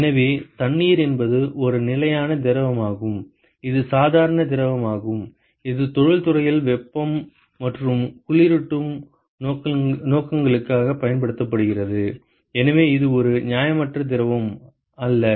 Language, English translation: Tamil, So, water is a very constant fluid that is normal fluid which is used in the industry for heating and cooling purposes, so that is not an unreasonable fluid